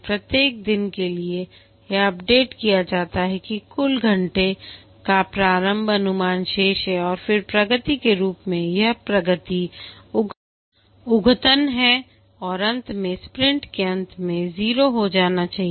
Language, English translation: Hindi, The total hours remaining initial estimation and then as the progress, this is updated and finally at the end of the sprint should become zero